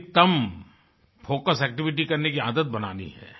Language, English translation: Hindi, The habit of maximising focus activity should be inculcated